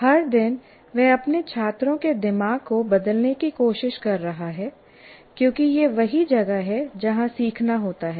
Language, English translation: Hindi, Every day he is trying to change the brain of his students because that is where the learning takes place